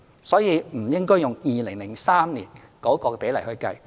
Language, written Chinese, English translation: Cantonese, 所以，我們不應該用2003年的比例來計算。, Hence we should not use the percentage in 2003 for comparison